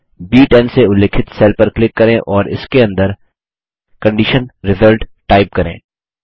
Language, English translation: Hindi, Lets click on the cell referenced as B10 and type Condition Result inside it